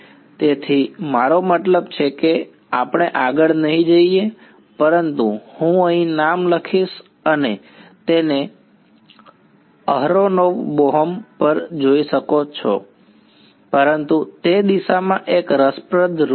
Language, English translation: Gujarati, So, I mean we will not go further, but I will write the name over here you can look it up aronov Bohm so, but that is an interesting detour along the direction